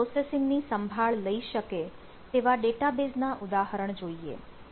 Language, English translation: Gujarati, so there are examples of databases capable of handling parallel processing